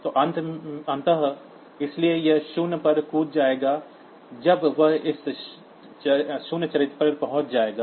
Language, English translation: Hindi, So, finally, so it will be jump on zero to stop when it reaches this zero character